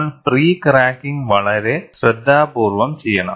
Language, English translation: Malayalam, You have to go and do the pre cracking very carefully